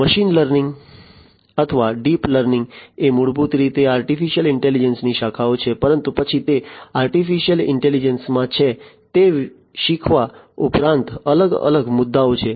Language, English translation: Gujarati, Machine learning or deep learning are basically branches of artificial intelligence, but then they are in artificial intelligence beyond learning there are different issues